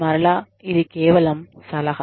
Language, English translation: Telugu, And again, this is just a suggestion